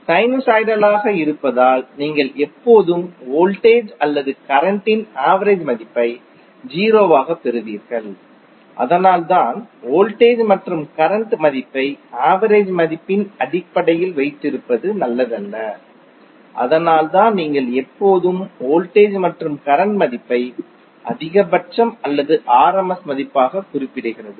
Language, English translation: Tamil, Being a sinusoidal you will always get the average value of either voltage or current as 0, so that’s why it is not advisable to keep the value of voltage and current in terms of average value that’s why you will always see either the value of voltage and current is specified as maximum or rms value